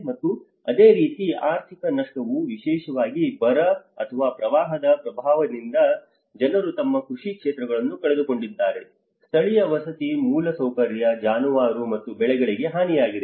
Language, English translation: Kannada, And similarly an economic loss especially with drought or the flood impacts where people have lost their agricultural fields, damage to local housing infrastructure, livestock and crops